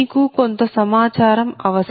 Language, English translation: Telugu, you need some data